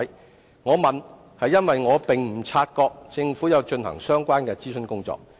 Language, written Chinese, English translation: Cantonese, 我提出這問題，是因為我並無察覺政府有進行相關的諮詢工作。, I raised this question for I did not notice that the Government had conducted the relevant consultation